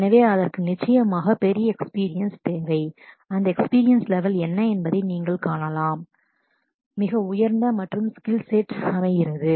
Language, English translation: Tamil, So, that needs certainly bigger experience it can, you can see that experience level is much higher and the skill sets